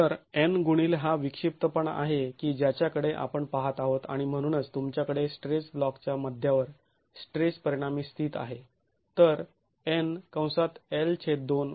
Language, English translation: Marathi, So, n into this is the eccentricity that we are looking at and therefore you have the stress resultant sitting at the center of the rectangular block